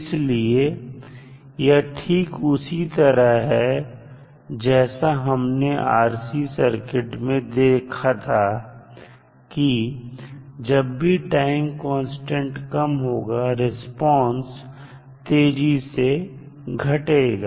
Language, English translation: Hindi, So, this is similar to what we saw in case of RC circuit so similar to that in RL circuit also the small time constant means faster the rate of decay of response